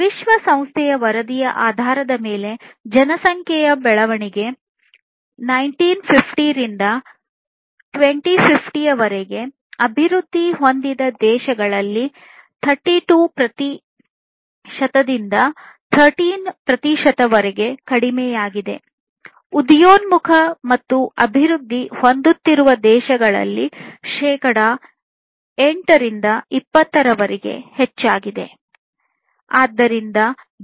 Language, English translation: Kannada, So, based on the United Nations report the population growth is from 1950 to 2050, reduced between 32 percent to 13 percent in developed countries and increased between 8 to 20 percent in emerging and developing countries